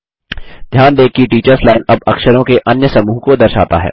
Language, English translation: Hindi, Notice, that the Teachers Line now displays a different set of characters